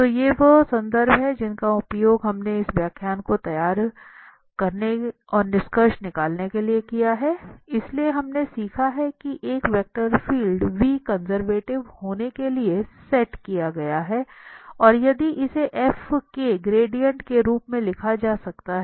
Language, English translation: Hindi, So, these are the references we have used for preparing this lecture and to conclude, so, what we have learned that a vector field V set to be conservative if it can be written as the gradient of f